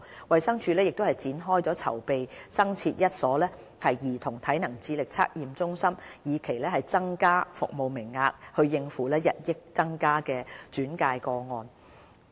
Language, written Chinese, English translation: Cantonese, 衞生署亦展開了增設一所兒童體能智力測驗中心的籌備工作，以期增加服務名額以應付日益增加的轉介個案。, Meanwhile DH has begun the construction for a new CAC to increase the service quotas to cater for the increasing number of referrals